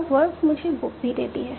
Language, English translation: Hindi, Now, verb also gives me a book